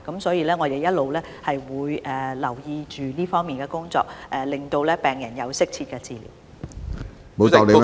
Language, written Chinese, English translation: Cantonese, 因此，我們會不斷留意這方面的工作，讓病人獲得適切治療。, Hence we will keep in view the work in this regard so that patients can receive optimal medical treatment